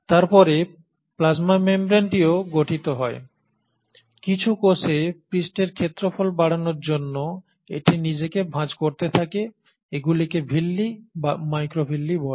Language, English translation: Bengali, And then the plasma membrane also consists of, in some cells it keeps on folding itself to enhance the surface area, these are called as Villi or microvilli